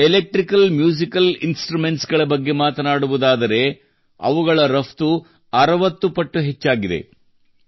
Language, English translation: Kannada, Talking about Electrical Musical Instruments; their export has increased 60 times